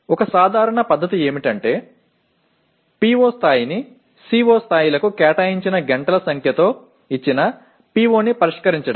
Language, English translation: Telugu, One simple method is to relate the level of PO with the number of hours devoted to the COs which address the given PO